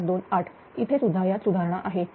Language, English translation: Marathi, 95528; here also it is improved